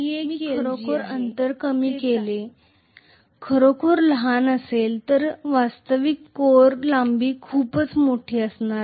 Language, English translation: Marathi, So I am going to have the gap length to be really really small whereas the actual core length is going to be much larger